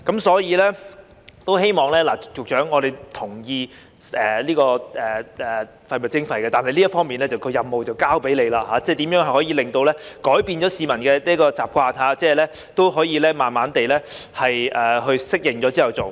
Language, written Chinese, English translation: Cantonese, 所以，局長，我們同意就廢物徵費，但這方面的任務交給你了，希望局長想想如何可以改變市民的習慣，使他們可以慢慢地在適應後去做。, Therefore Secretary while we agree that charges should be imposed for waste disposal this task is handed to you now . I hope that the Secretary will consider how the publics habits can be changed so that they can gradually get used to the new arrangements